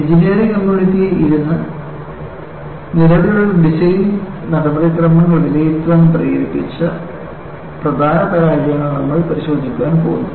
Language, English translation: Malayalam, Now, we are going to look at the key failures that triggered the engineering community to sit back and evaluate the existing design procedures are listed